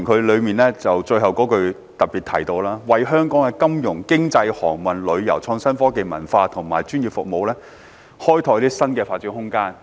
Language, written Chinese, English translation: Cantonese, 議案最後一句提到"為香港的金融、經貿、航運、旅遊、創新科技、文化及專業服務業開拓新的發展空間。, The last sentence of the motion mentions open up new room for development for Hong Kongs financial trading shipping tourism innovation and technology cultural and professional services industries